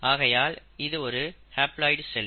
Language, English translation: Tamil, So such a cell is called as a haploid cell